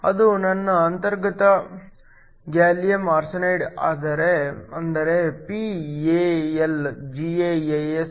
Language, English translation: Kannada, That is my intrinsic gallium arsenide that is p AlGaAs